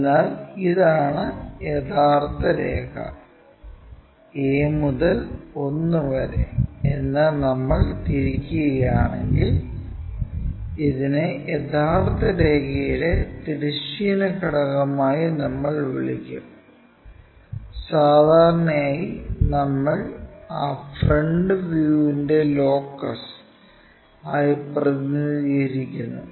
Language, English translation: Malayalam, So, this is the true line, if we have rotated that whatever a to 1 that, we will call this one as horizontal component of true line and usually we represent like locus of that front view